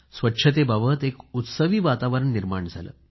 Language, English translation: Marathi, A festive atmosphere regarding cleanliness got geared up